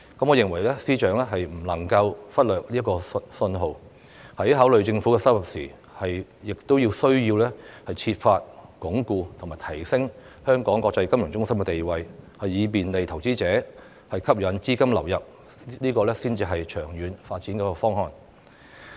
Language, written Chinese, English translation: Cantonese, 我認為司長不能夠忽略這些訊號，在考慮政府收入時，亦須設法鞏固和提升香港國際金融中心的地位，以便利投資者和吸引資金流入，這才是長遠發展的方案。, In my view the Financial Secretary FS cannot ignore these signals . When considering the Governments revenue he should also endeavour to reinforce and enhance Hong Kongs status as an international financial centre to facilitate investors and attract capital inflows . This should be the long - term development plan